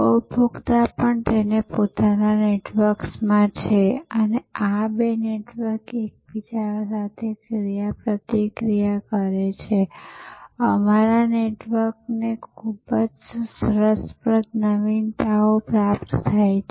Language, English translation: Gujarati, Consumers are also in their own network and these two networks interact with each other also our networks and very interesting innovations are derived